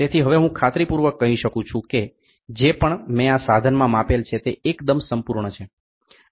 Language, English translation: Gujarati, So, that now I can make sure whatever I measure in this instrument is perfect